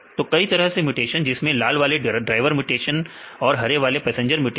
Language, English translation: Hindi, So, the several type of mutations red one is the driver mutation and the green one is the passenger mutation right